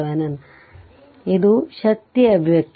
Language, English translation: Kannada, So, this is the power expression